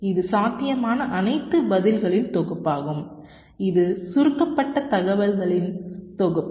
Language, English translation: Tamil, lets say, this is the set of all possible responses and this is the set of compacted information